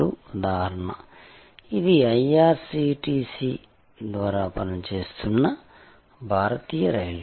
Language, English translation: Telugu, So, this is for example, Indian railway operating through IRCTC